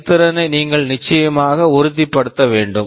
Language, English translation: Tamil, You need to ensure that performance is assured